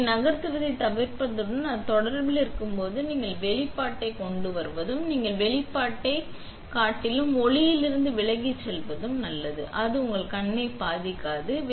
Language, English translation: Tamil, You want to make sure nothing moved and then when it is in contact and you hit exposure and when you hit exposure, it is good to turn you back away from the light so, it does not damage your eye